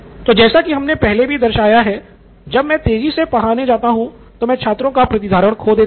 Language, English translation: Hindi, So represented like what we had last time is when I go fast I lose out on retention from the students